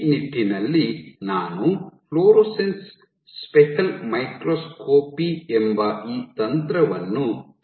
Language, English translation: Kannada, In this regard I introduced this technique called fluorescence speckle microscopy